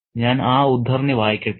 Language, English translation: Malayalam, Let me read the extract